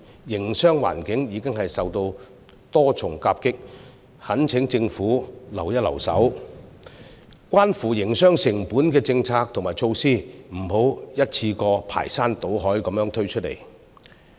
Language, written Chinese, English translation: Cantonese, 營商環境已經受到多重夾擊，我懇請政府手下留情，關乎營商成本的政策和措施不要一次過排山倒海地推出。, Given that the business environment has been suffering from multiple impacts I urge the Government to apply a lenient hand in introducing policies and measures related to the cost of doing business and implement them in an orderly fashion